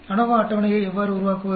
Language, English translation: Tamil, How do you make the ANOVA table